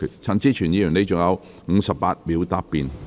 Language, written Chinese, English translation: Cantonese, 陳志全議員，你還有58秒答辯。, Mr CHAN Chi - chuen you still have 58 seconds to reply